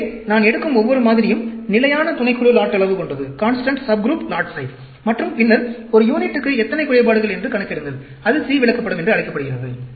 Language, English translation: Tamil, So, every set of samples I take, constant subgroup lot size and then, calculate how many defects per unit; that is called the C chart